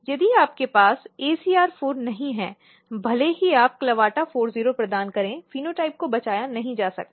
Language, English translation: Hindi, So, if you do not have ACR4, even if you provide CLAVATA40, the phenotype cannot be rescued